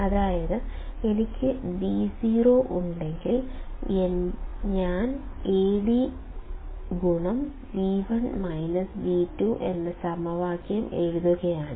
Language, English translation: Malayalam, That is, if I have V o; I am writing the same equation Ad into V1 minus V2